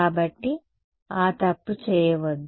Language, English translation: Telugu, So, do not make that mistake